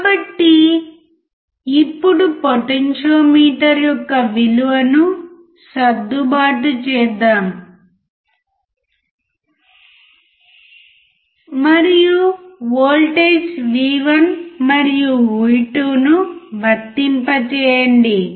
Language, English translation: Telugu, So, let us now adjust the value of the potentiometer, and apply the voltage V1 and V2